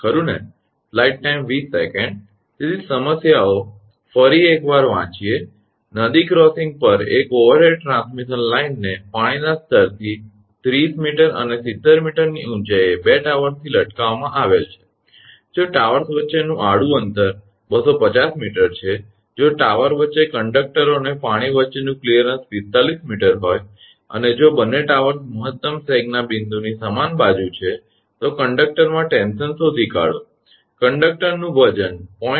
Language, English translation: Gujarati, So, just reading once again the problem; An overhead transmission line at a river crossing is supported a from 2 towers at heights of 30 meter and 70 meter above the water level, the horizontal distance between the tower is 250 meters, if the required clearance between the conductors and the water midway between the tower is 45 meter, and if both the towers are on the same side of the point of maximum Sag, find the tension in the conductor, the weight of the conductor is given 0